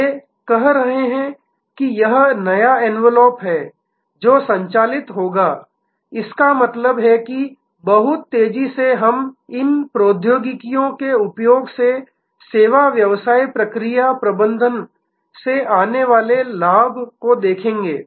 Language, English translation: Hindi, They are saying that this is the new envelop which will operate; that means very rapidly we will see the advantage coming from the service business process management by use of these technologies